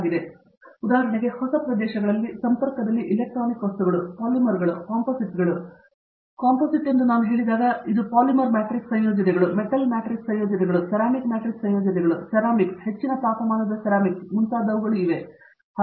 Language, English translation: Kannada, So so, in that connection a lot of newer areas for example, Electronic materials, Polymers, Composites, when I say Composite it would be Polymer matrix composites, Metal matrix composites, Ceramic matrix composites, Ceramics high temperature ceramics